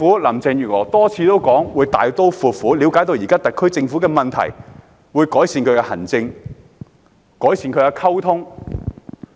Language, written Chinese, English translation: Cantonese, 林鄭月娥多次表示會大刀闊斧地了解現時特區政府的問題，會改善其行政和溝通。, Carrie LAM has indicated time and again that she will ascertain the problems with the SAR Government in a courageous manner and make improvements in terms of administration and communication